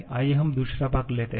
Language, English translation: Hindi, Let us take the second part